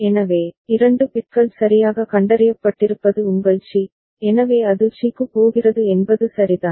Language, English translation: Tamil, So, 2 bits properly detected is your c, so it is going to c is it ok